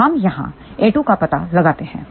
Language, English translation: Hindi, So, we locate here a 2